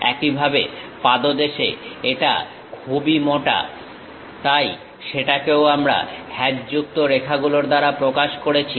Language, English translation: Bengali, Similarly at basement it is very thick, so that also we represented by hatched lines